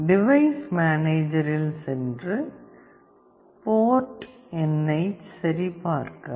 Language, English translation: Tamil, Go to device manager and check the port number